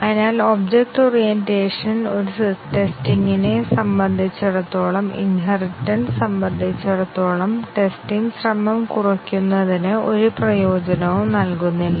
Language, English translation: Malayalam, So, object orientation, it is for a testing is concerned does not give any benefit in reduction of the testing effort as far as inheritance is concerned